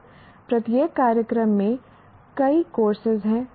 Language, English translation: Hindi, Then every program has several courses